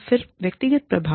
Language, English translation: Hindi, Then, the individual effects